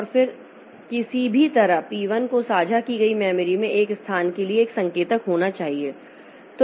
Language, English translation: Hindi, P2 also has got a pointer to this location in the shared memory